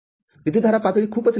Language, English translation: Marathi, The current levels are very small